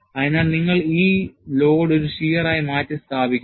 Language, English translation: Malayalam, So, you replace this load by a shear